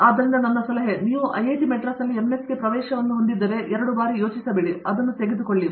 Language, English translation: Kannada, So, my advice is, if you have an admission for MS in IIT Madras, donÕt even think twice; take it